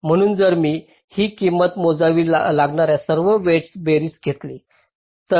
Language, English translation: Marathi, so if i take this sum of all the weights, that will define my cost